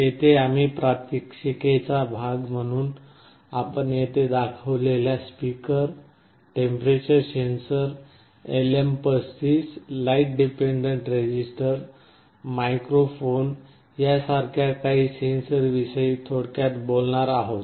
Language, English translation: Marathi, Here we shall be very briefly talking about some of the sensors like speaker, temperature sensor, LM35, light dependent resistor, microphone that we shall be showing as part of the demonstration